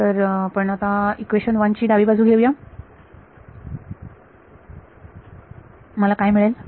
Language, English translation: Marathi, So, let us take the left hand side of equation 1, what will I get